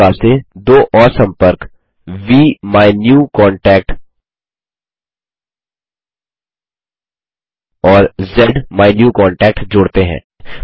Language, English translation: Hindi, In the same manner lets add two more contacts VMyNewContact and ZMyNewContact